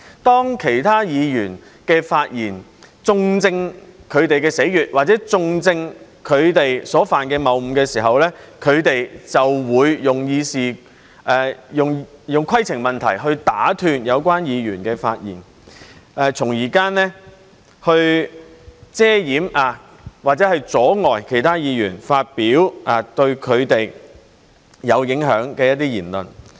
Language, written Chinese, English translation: Cantonese, 當其他議員的發言中正他們的死穴，或者中正他們所犯的謬誤時，他們就會用規程問題來打斷有關議員的發言，從而遮掩或者阻礙其他議員發表對他們有影響的言論。, When other Members exposed their Achilles heel or pointed out their fallacies they would interrupt other Members by raising points of order as a cover - up or to block other Members from making speeches that affect them